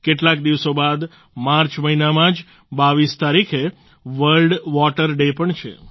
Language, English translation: Gujarati, A few days later, just on the 22nd of the month of March, it's World Water Day